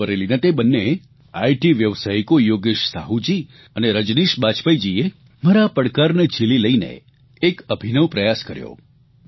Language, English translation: Gujarati, Two IT Professionals from Rae Bareilly Yogesh Sahu ji and Rajneesh Bajpayee ji accepted my challenge and made a unique attempt